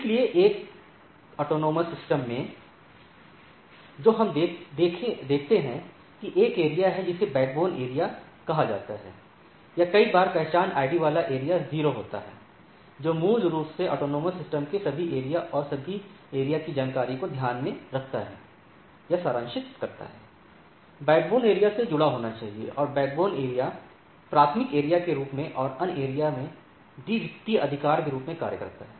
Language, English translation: Hindi, So, in a autonomous system what we see, that there is a area called backbone area or at times the area with identity ID is 0, which basically takes care or summarizes the information of the all the areas of the autonomous systems, and all areas must be connected to the backbone area, and backbone area acts as a primary area and other areas as secondary right